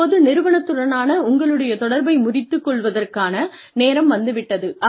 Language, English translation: Tamil, Now, the time comes, to cut your bonds, with the organization